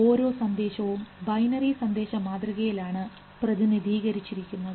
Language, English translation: Malayalam, Like each signal can be represented in the form of binary signal